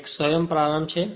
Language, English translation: Gujarati, This is a self starting